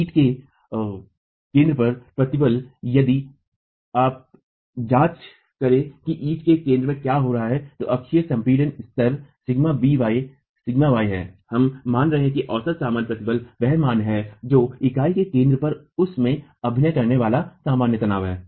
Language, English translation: Hindi, The stress at the center of the brick, if you were to examine what is happening at the center of the brick, the axial compression level, sigma b is sigma y, we are assuming that the average normal stress is the value which is the normal stress acting at the center of the brick